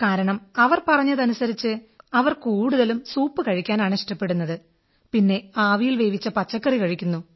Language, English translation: Malayalam, They told us they generally like having a soup, along with a few boiled vegetables